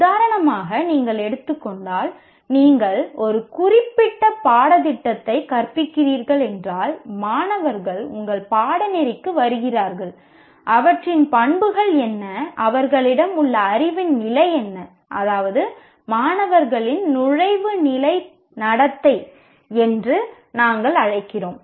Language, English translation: Tamil, For example, if you are taking, if you are teaching a particular course, the students who are coming to your course, what are their characteristics, what is the level of knowledge they have, what that we call basically entry level behavior of the students